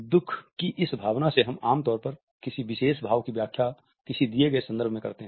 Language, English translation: Hindi, By this emotion of sadness we normally interpret a particular emotion within a given context